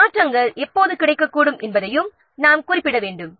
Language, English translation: Tamil, You have to also specify when changes to these marks become available